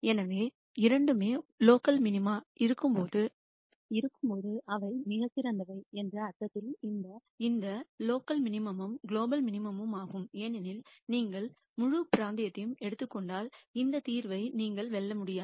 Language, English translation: Tamil, So, while both are local minimum in the sense that in the vicinity they are the best this local minimum is also global minimum because if you take the whole region you still cannot beat this solution